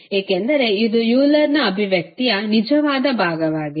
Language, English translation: Kannada, Because this is the real part of our Euler expression